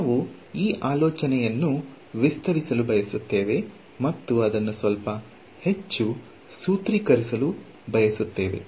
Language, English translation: Kannada, We want to extend this idea and sort of formulize it a little bit more